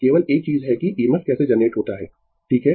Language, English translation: Hindi, Only thing is that how EMF is generated right